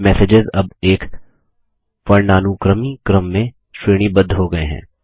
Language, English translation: Hindi, The messages are now sorted in an alphabetical order